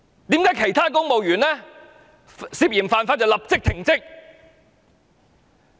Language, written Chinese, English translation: Cantonese, 為何其他公務員涉嫌犯法就會立即被停職？, Why are other civil servants suspected of breaking the law suspended from duty immediately?